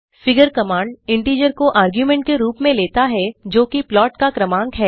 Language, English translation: Hindi, The figure command takes an integer as an argument which is the serial number of the plot